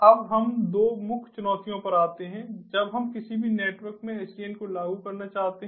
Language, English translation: Hindi, now it is come to two main challenges when we want to implement sdn in any network